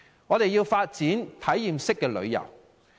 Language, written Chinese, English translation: Cantonese, 我們要發展體驗式旅遊。, We have to develop experiential tourism